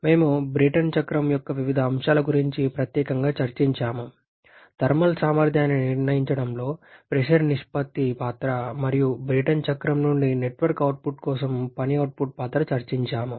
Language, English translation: Telugu, We have discussed about different aspects of the Brayton cycle particularly, the role of the pressure ratio in determining the thermal efficiency and the work output for network output from the Brayton cycle